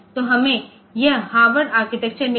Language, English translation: Hindi, So, we have got this Harvard architecture